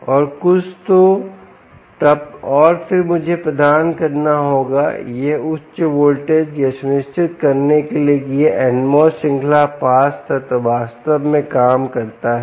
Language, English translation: Hindi, so then, and then i will have to provide this higher voltage in order to ensure that this n mos series pass element actually works